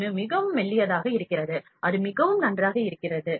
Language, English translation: Tamil, 1 is very thin is very fine